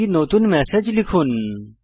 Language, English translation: Bengali, Lets compose a new message